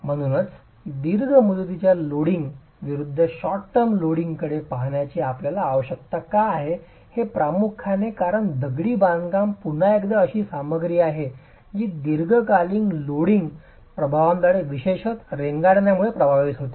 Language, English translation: Marathi, So, the reason why we need to be looking at short term loading versus long term loading is primarily because masonry again is a material that is significantly affected by long term loading effects, particularly creep